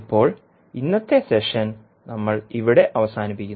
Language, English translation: Malayalam, So now, we close the today's session here